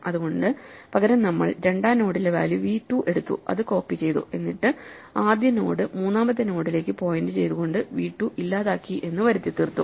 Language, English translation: Malayalam, So, instead we take the value in the second node which was v 2, copy it here and then pretend we deleted v 2 by making the first node point to the third